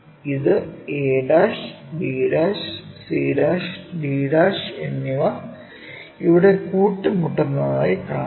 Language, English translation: Malayalam, And this one a', b', both are coinciding, c' and d'